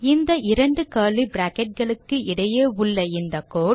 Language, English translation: Tamil, The code between these two curly brackets will belong to the main method